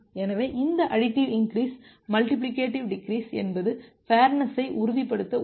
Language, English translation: Tamil, So, how these additives increase multiplicative decrease can help in ensuring fairness